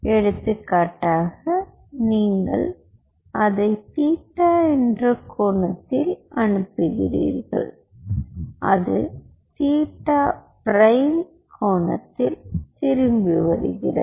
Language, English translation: Tamil, so say, for example, you are sending it an angle of, say, theta and it is coming back at an angle of theta prime